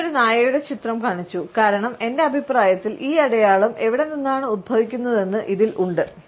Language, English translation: Malayalam, I showed a picture of the dog, because there is in my opinion where this sign originates from